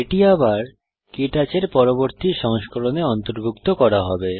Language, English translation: Bengali, It will then be included in the next version of KTouch